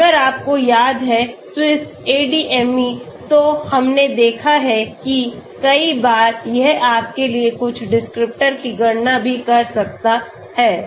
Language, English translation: Hindi, If you remember SwissADME, we have seen that many times, that also can calculate a few descriptors for you okay